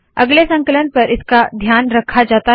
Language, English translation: Hindi, On next compilation this is taken care of